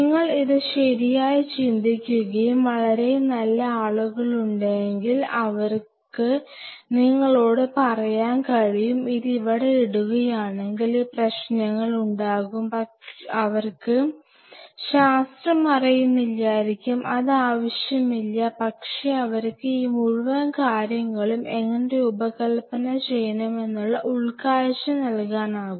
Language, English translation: Malayalam, And if you think it right and there are people who are very good they can tell you that you know if we put it here this is the problem, they may not be knowing your science and they do not need to even, but they can give you a better insight how you really can design the whole thing in a way